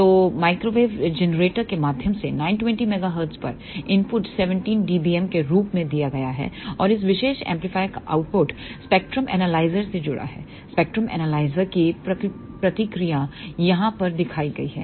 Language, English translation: Hindi, So, input was given as minus 17 dBm at 920 megahertz through a microwave generator, and the output of this particular amplifier was connected to the spectrum analyzer the response of the spectrum analyzer is shown over here